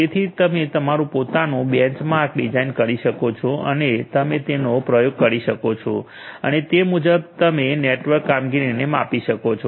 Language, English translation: Gujarati, So, you can design your own benchmark and you can experiment it so and accordingly you can measure the network performance